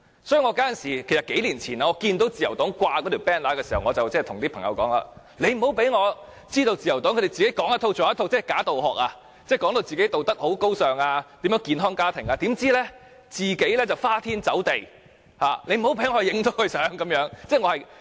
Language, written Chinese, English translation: Cantonese, 所以，在數年前看到自由黨掛上那張橫額時，我對朋友說，不要讓我知道自由黨"說一套、做一套"，"假道學"，把自己形容為道德高尚、健康家庭，怎料卻花天酒地，不要讓我拍攝到這個情況。, So when I saw the banner of the Liberal Party a few years ago I told my friend do not let me know that the Liberal Party is being hypocritical saying one thing but doing quite another . Do not let me catch them indulging in sensual pleasures while presenting themselves as people with high moral standards and healthy families